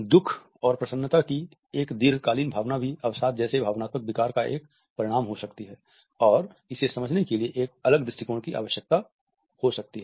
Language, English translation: Hindi, A prolonged feeling of sorrow and unhappiness can also be a result of an emotional disorder like depression and may require a different approach